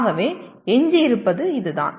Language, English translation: Tamil, So what remains is this